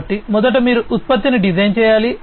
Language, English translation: Telugu, So, first of all you need to design, you need to design the product